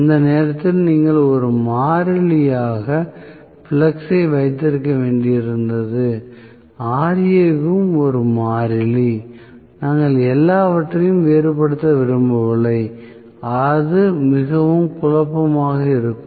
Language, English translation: Tamil, At that point you had to have flux as a constant and Ra also is a constant we do not want to vary everything then it will be very confusing